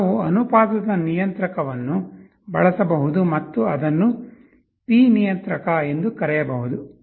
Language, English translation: Kannada, We can use something called a proportional controller or P controller